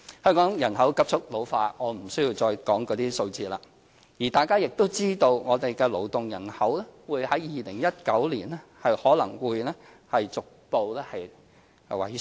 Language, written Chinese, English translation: Cantonese, 香港人口急速老化——我不需要再引述相關數字——而大家亦知道我們的勞動人口在2019年可能會逐步萎縮。, With rapid population ageing in Hong Kong Members all know that our working population may gradually shrink from 2019 onwards . Perhaps I do not have to quote the relevant figures anymore